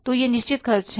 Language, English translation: Hindi, So, these are the fixed expenses